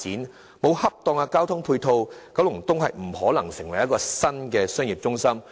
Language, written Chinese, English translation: Cantonese, 缺乏適當的交通配套，九龍東便無法蛻變成為新的商業中心區。, Without sound transportation support the transformation of Kowloon East into a new central business district will be rendered impossible